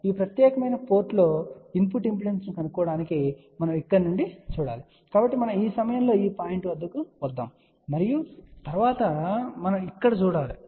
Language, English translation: Telugu, So, to find the input impedance at this particular port we have to look from here, so then we come at this point and then we have to look at this here